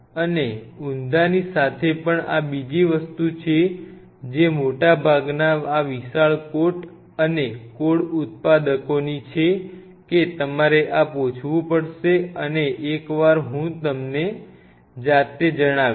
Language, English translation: Gujarati, And even with inverted this is another thing which most of these giant coat and code manufacturers own tell you have to ask then this and I myself got like kind of you know, once I do